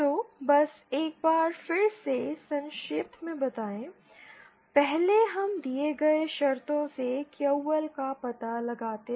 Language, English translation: Hindi, So just to summarise once again, 1st we find out QL from the given conditions